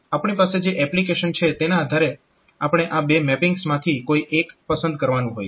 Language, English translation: Gujarati, So, depending upon the application that we have, so we have to choose between these two mappings